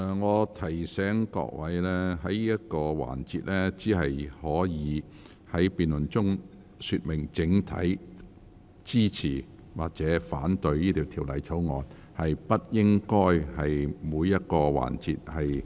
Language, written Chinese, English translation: Cantonese, 我提醒各位委員，在這個環節的辯論中，只可說明是否整體支持條例草案，而不應就個別政策進行辯論。, I remind Members that in this debate session Members can only explain whether they will support the Bill as a whole and should not hold any debate on individual policies